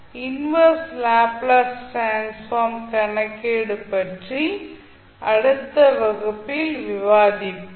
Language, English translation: Tamil, And the next class we will discuss about the calculation of inverse Laplace transform thank you